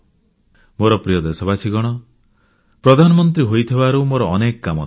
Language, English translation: Odia, My dear countrymen, as Prime Minister, there are numerous tasks to be handled